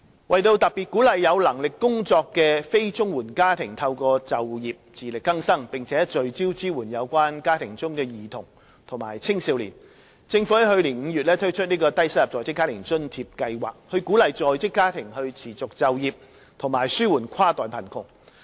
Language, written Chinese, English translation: Cantonese, 為特別鼓勵有能力工作的非綜援家庭透過就業自力更生，並聚焦支援有關家庭中的兒童及青少年，政府在去年5月推出低收入在職家庭津貼計劃("低津計劃"），以鼓勵在職家庭持續就業，紓緩跨代貧窮。, To specifically encourage employable families not receiving the Comprehensive Social Security Assistance to become self - reliant through employment while focusing on supporting families with children and youth the Government introduced the Low - income Working Family Allowance LIFA Scheme in May last year to encourage working families to stay in active employment and ease inter - generational poverty